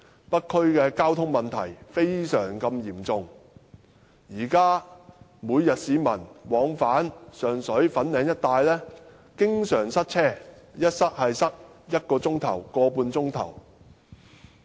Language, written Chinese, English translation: Cantonese, 北區的交通問題非常嚴重，現時市民每天往返上水和粉嶺一帶經常遇到塞車，一旦塞車便是1小時至1小時半。, The traffic problem in the North District is very serious . At present people commuting between Sheung Shui and Fanling every day are often caught in the traffic jam for at least an hour or one and a half hours